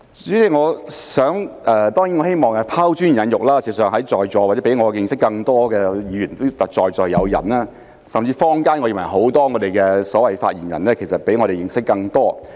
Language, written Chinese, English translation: Cantonese, 代理主席，當然我希望拋磚引玉，事實上在座也有比我認識更多的議員，甚至我認為坊間有很多所謂的發言人，其實比我們認識更多。, Deputy President certainly I wish to get the discussion rolling by offering my humble opinions to encourage valuable input from others . In fact there are Members here who are more knowledgeable than me . More than that I believe many so - called spokespersons in the community are actually more knowledgeable than us